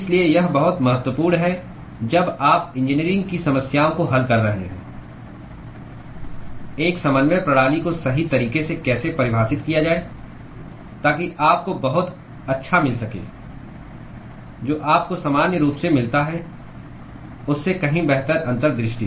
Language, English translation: Hindi, So, this is very very important when you are solving engineering problems how to define a coordinate system correctly so that you would get very good much better insight than what you would normally get otherwise